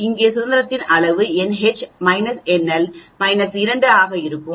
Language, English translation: Tamil, The degrees of freedom here will be n H minus n L minus 2